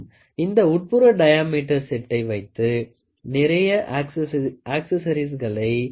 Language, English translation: Tamil, This inside diameter set has a several accessories you can add to it